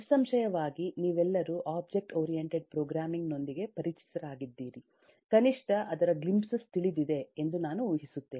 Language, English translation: Kannada, () are familiar with object oriented programming, at least I assume that you know glimpses of that